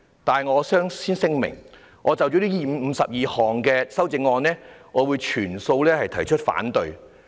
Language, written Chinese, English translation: Cantonese, 但我先此聲明，就這52項修正案，我會全數反對。, But I will make it clear at the outset that I will oppose all 52 amendments